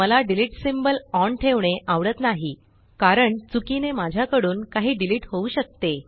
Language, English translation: Marathi, I do not like to leave delete symbol on, because I can accidentally delete something else